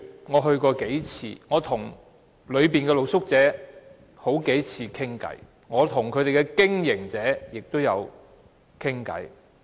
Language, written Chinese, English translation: Cantonese, 我到過那裏數次，與露宿者傾談了數次，亦與經營者傾談過。, I have been there several times and have talked with some street sleepers as well as the operator